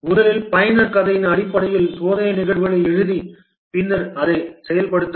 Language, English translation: Tamil, First write the test cases based on the user story and then implement it